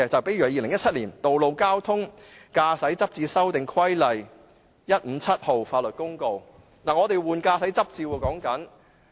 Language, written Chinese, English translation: Cantonese, 例如《2017年道路交通規例》說的是司機要更換駕駛執照。, For instance the Road Traffic Amendment Regulation 2017 is about the renewal of driving licences by drivers